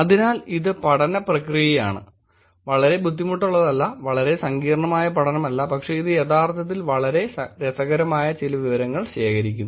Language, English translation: Malayalam, So that is the process of the study, not a very difficult, not a very complicated study but it is actually collecting some very interesting data